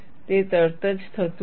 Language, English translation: Gujarati, It does not happen immediately